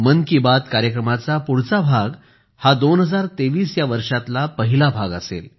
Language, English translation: Marathi, The next episode of 'Mann Ki Baat' will be the first episode of the year 2023